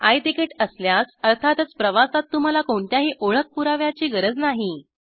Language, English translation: Marathi, In case of I Ticket as mentioned earlier, no identity proof is required